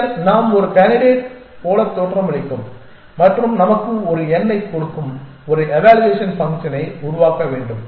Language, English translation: Tamil, Then we have to devise an evaluation function which will look a candidate and give us a number